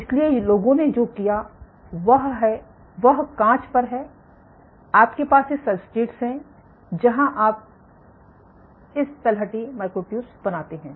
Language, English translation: Hindi, So, what people have done is then on glass you have these substrates where you create this bottom myotube